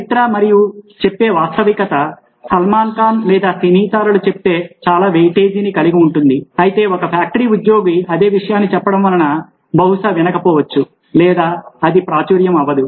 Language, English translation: Telugu, history and authenticity what salman khan or stars say will carry a lot of weightage, whereas a factory worker saying the same thing will not probably get heard or it will not go viral